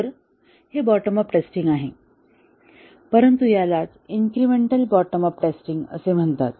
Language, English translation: Marathi, So, this is the essence of bottom up testing, but then this is a incremental bottom up testing